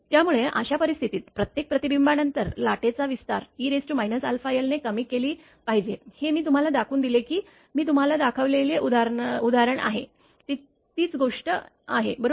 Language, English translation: Marathi, So, in that case what will happen the amplitude of the wave after each reflection should be reduced to a factor e to the power your minus your alpha l, that just are just the example I showed you know that example I showed you, same thing right